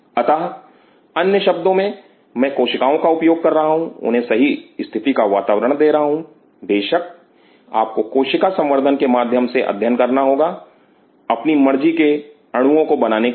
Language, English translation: Hindi, So, in other word I am using cells giving them the right set of conditions of course, you one has to study through cell culture, to produce by molecules of my choice